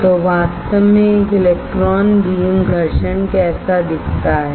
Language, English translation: Hindi, So, in reality in reality how does an electron beam abrasion looks like